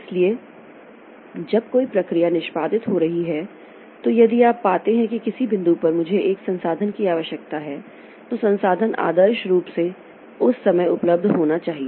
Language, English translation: Hindi, So, as when a process is executing, so if it finds that at some point I need a resource, that resource ideally it should be available at that point of time